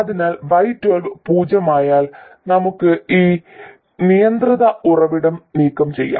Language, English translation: Malayalam, So, once Y12 is 0, we can simply remove this control source